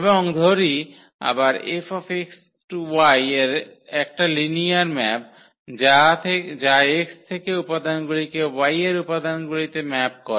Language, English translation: Bengali, And this let F again be a linear map which maps the elements from X to the elements in Y